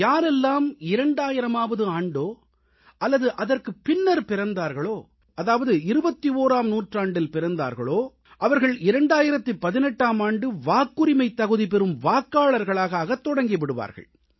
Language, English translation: Tamil, People born in the year 2000 or later; those born in the 21st century will gradually begin to become eligible voters from the 1st of January, 2018